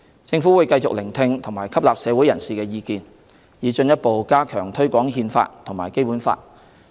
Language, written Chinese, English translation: Cantonese, 政府會繼續聆聽及吸納社會人士的意見，以進一步加強推廣《憲法》和《基本法》。, We will continue to listen to and take into account views from the public to further enhance the promotion of the Constitution and the Basic Law